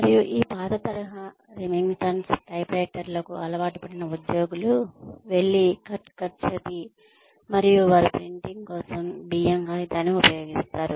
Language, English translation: Telugu, And employees, who have been used to this old style, Remington typewriters, that go, cut, cut, cut and they use rice paper for printing